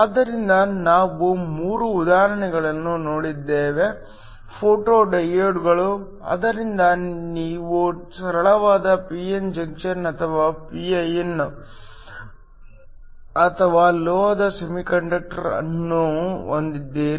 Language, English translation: Kannada, So, We have looked at 3 examples photo diodes, so you have a simple p n junction or a pin or a metal semiconductor